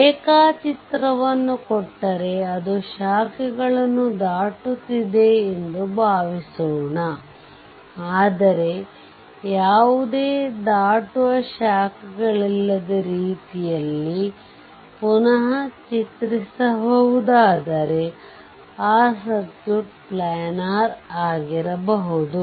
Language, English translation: Kannada, Suppose diagram is given it is crossing branches, but you can if you can redraw such that there is no crossing branches, then circuit may be planar right